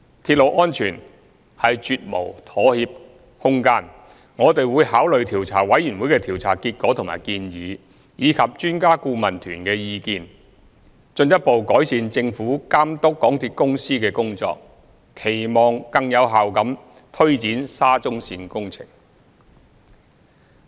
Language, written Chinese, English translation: Cantonese, 鐵路安全是絕無妥協空間，我們會考慮調查委員會的調查結果和建議，以及專家顧問團的意見，進一步改善政府監督港鐵公司的工作，期望更有效地推展沙中線工程。, There is absolutely no compromise on railway safety . After considering the inquiry result and recommendations of the Commission and taking into account the suggestions of the Expert Adviser Team we will further improve the monitoring of MTRCL by the Government in the hope that the SCL Project can be taken forward more effectively